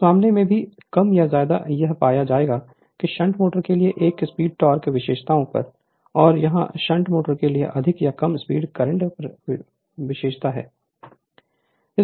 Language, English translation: Hindi, So, in this case also more or less you will find that a speed torque characteristics for shunt motor and here it is speed current characteristic for shunt motor more or less same right